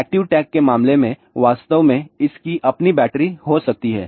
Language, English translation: Hindi, In case of active tag this may actually have it is own battery